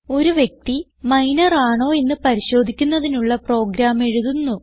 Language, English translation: Malayalam, We will write a program to identify whether a person is Minor